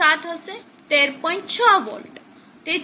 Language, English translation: Gujarati, 7 will be 13